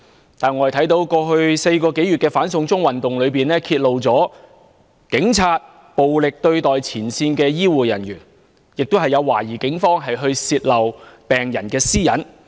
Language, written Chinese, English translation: Cantonese, 然而，我們看見，在過去4個多月的"反送中運動"中，揭露出警察暴力對待前線醫護人員，亦有懷疑警方泄露病人私隱的情況。, Nevertheless we see that the four - month - plus anti - extradition to China movement has exposed the police brutality towards frontline health care personnel and revealed suspected cases of police leaking patients private information